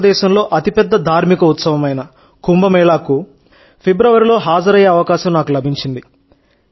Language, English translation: Telugu, I had the opportunity to attend Kumbh Mela, the largest religious festival in India, in February